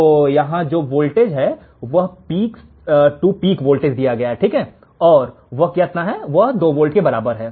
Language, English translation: Hindi, So, here the voltage is the peak to peak voltage and is equal to 2 volts right